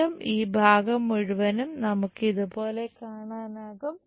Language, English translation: Malayalam, Again this entire part we will see it like this one